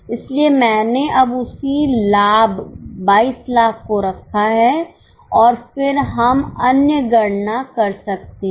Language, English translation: Hindi, So, I have kept the same profit now, 22 lakhs, and then we can do other calculations